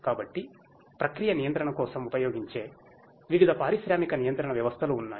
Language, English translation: Telugu, So, there are different industrial control systems that are used for process control